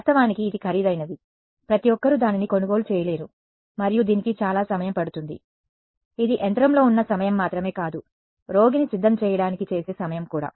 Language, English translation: Telugu, Of course, it is expensive, not everyone can afford it and it takes a lot of time right it is not just the time in the machine, but the preparation time for the patient everything getting it done